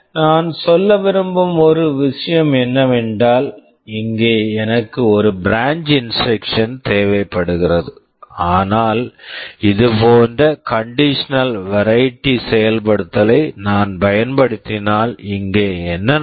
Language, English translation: Tamil, The only thing that I want to say is that, here I am requiring one branch instruction, but if I use the conditional variety of implementation like this, you see what we have done here